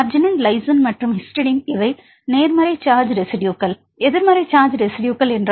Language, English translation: Tamil, Arginine lysine and histidine these are positive charge residues what are negative charge residues